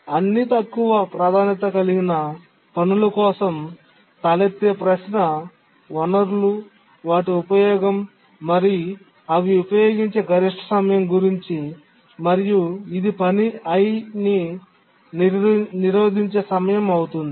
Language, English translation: Telugu, For all the lower priority tasks, what is the resources they use and what is the maximum time they use and that is the blocking time for the task I